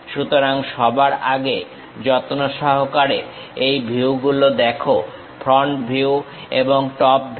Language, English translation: Bengali, So, first of all carefully visualize these views, the front view and the top view